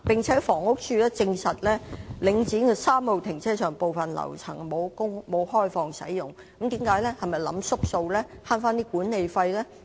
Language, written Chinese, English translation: Cantonese, 此外，房屋署證實，領展逸東3號停車場部分樓層並沒有開放使用，這是否打小算盤，想節省管理費呢？, Moreover HD confirmed that Link REIT did not open some of the floors of Yat Tung Car Park 3 for use . Is it trying to cut down its expenditure by saving management fees?